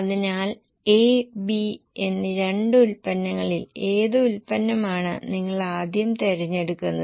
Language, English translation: Malayalam, So, out of the two products A and B, which product first of all will you prefer